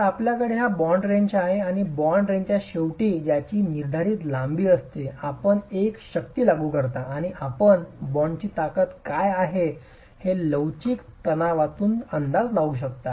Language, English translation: Marathi, So you have this bond range and at the end of this bond range which has a prescribed length, you apply a force and you are able to estimate under flexual tension, what is the strength of the bond itself